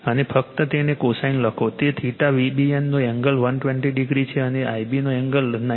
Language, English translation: Gujarati, And just write it , cosine of it is angle of theta V B N is 120 degree , and angle of I b is 93